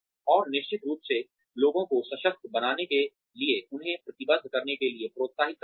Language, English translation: Hindi, And of course, for empowering people, by encouraging them to commit